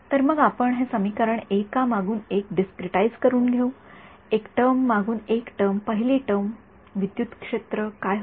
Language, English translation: Marathi, So, let us just discretize this equation one by one, one term by one term first term electric field, what happens